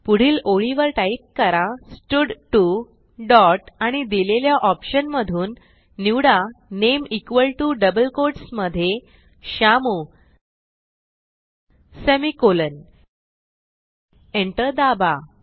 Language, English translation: Marathi, Next line type stud1 dot select name press enter equal to within double quotes Ramu semicolon press enter